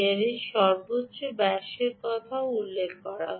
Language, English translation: Bengali, maximum ah diameter of this is also mentioned